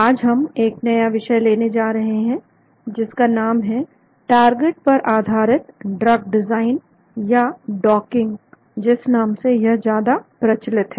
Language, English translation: Hindi, Today, we are going to start a new topic that is called a target based drug design or a docking as it is popularly called